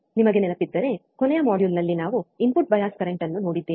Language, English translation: Kannada, iIf you remember, we have in the last module we have seen input bias current